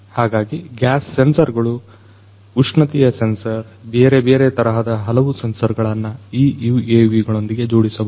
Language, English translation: Kannada, So, it could be different gas sensors, temperature sensor, you know different other types of sensors could be fitted to these UAVs